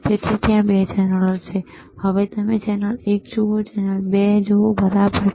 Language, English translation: Gujarati, So, there are 2 channels, if you see channel one, channel 2, right